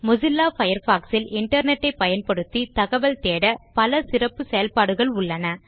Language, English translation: Tamil, Mozilla Firefox has a number of functionalities that make it easy to search for information on the Internet